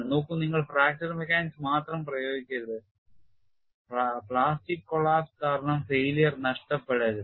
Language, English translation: Malayalam, See, you should not simply apply only fracture mechanics and miss out failure due to plastic collapse